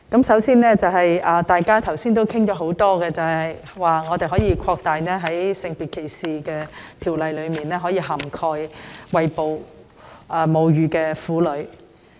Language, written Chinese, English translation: Cantonese, 首先，大家剛才發言時多次提到，應把《性別歧視條例》的涵蓋範圍擴大至餵哺母乳的婦女。, First of all as Members have mentioned time and again earlier on the scope of the Sex Discrimination Ordinance should be extended to cover breastfeeding women